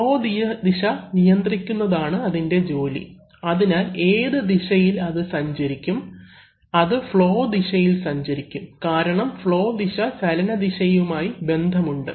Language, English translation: Malayalam, Whose job it is to control the direction of the flow, so which way it will move, will it move from the, that is the flow direction because the flow direction is very much related to the direction of motion